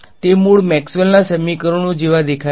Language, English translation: Gujarati, They look like original Maxwell’s equations in which case